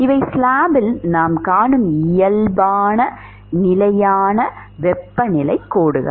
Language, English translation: Tamil, These are the constant temperatures lines that we will find on the slab